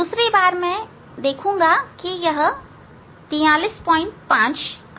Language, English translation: Hindi, second time I will see this it is 43